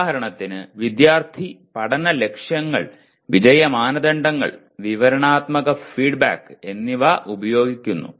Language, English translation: Malayalam, For example the student uses the learning goals, success criteria and descriptive feedback